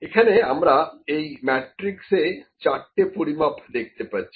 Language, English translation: Bengali, We can see in this matrix there are 4 measurements